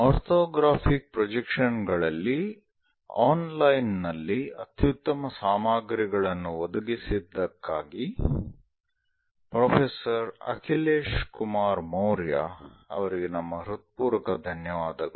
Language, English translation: Kannada, Our sincere thanks to professor Akhilesh Kumar Maurya for his excellent materials provided on online on Orthographic Projections